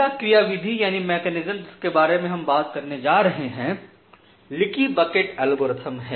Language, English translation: Hindi, So, the first mechanism that we are going to talk about is leaky bucket algorithm